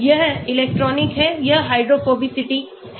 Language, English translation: Hindi, This is electronic this is hydrophobicity